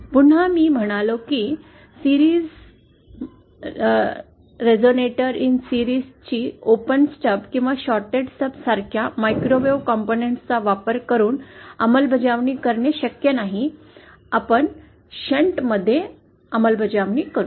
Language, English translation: Marathi, Since again, I said series resonator in series is not possible to implement using microwave components like open stub or a shorted stub, we will go for the shunt implementation